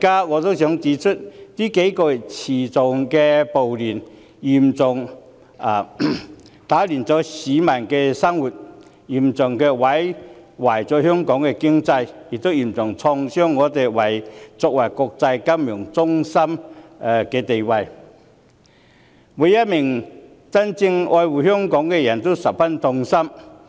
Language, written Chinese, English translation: Cantonese, 我想指出，這數個月的持續暴亂大大打亂市民的生活，嚴重破壞香港經濟，並且重挫香港作為國際金融中心的地位，每一位真正愛護香港的人都十分痛心。, I would like to point out that the continuing riots over the last few months have greatly disrupted the lives of the people seriously undermined Hong Kongs economy dealt a heavy blow to Hong Kongs status as an international financial centre and thus breaking the hearts of all those who love the territory sincerely